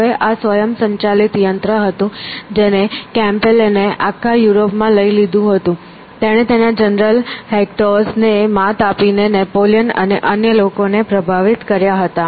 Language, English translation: Gujarati, Now, this was the automaton which Kempelen took all over Europe; he impressed Napoleon and other people, beating his general Hectaus